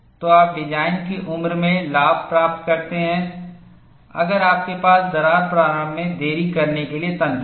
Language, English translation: Hindi, So, you gain advantage in the design life, if you have mechanisms to delay crack initiation